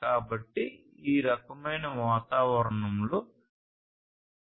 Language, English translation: Telugu, So, in this kind of environment 802